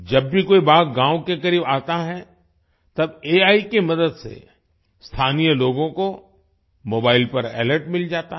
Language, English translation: Hindi, Whenever a tiger comes near a village; with the help of AI, local people get an alert on their mobile